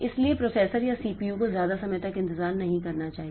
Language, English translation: Hindi, So, the processor or the CPU should not wait for that much of time